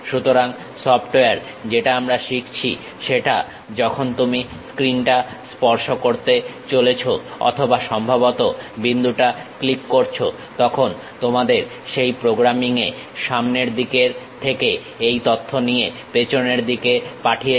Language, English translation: Bengali, So, the softwares what we are going to learn is when you are going to touch the screen or perhaps click the point, your front end takes that information and send it to your back end of that programming